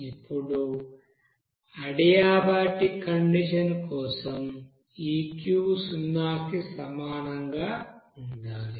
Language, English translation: Telugu, Now for adiabatic condition, this Q should be equals to zero